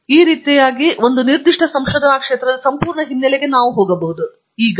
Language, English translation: Kannada, So, this way actually we can go and discover the entire background of a particular research area